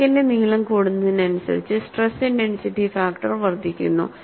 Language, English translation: Malayalam, The stress and crack length are interrelated and as the crack length increases, stress intensity factor increases